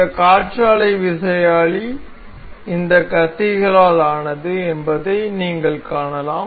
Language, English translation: Tamil, You can see this this wind turbine is made of these blades